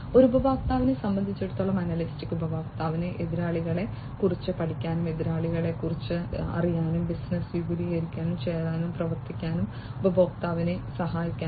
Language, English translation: Malayalam, For a customer, analytics will help the customer to learn about competitors, learn about competitors, help the customer to join and activity, which expands business